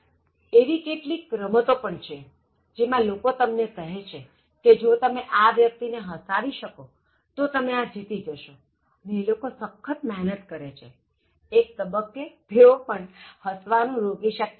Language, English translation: Gujarati, So, there are even games in which people say that, if you make this person laugh, so you will win this and even people who try hard they will not be able to stop laughter beyond a point